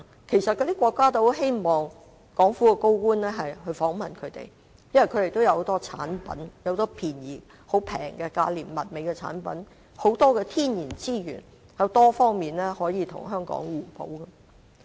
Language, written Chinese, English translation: Cantonese, 其實，那些國家也十分希望港府的高層官員訪問他們，因為他們有很多價廉物美的產品和豐富的天然資源，可以在多方面跟香港互補。, In fact those countries wish that high - ranking public officials of Hong Kong can visit them . They have many inexpensive and fine products and possess rich natural resources and they can work with Hong Kong complementarily in many areas